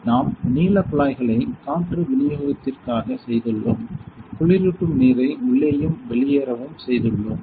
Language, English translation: Tamil, So, we have done the tubing this blue tubing is for the air supply, we have done the cooling water in and outlet